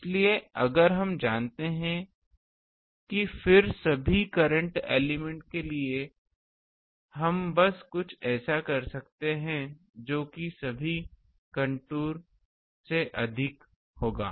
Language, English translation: Hindi, So, if we know that then for all the filaments we can just some that will be sum over all this contour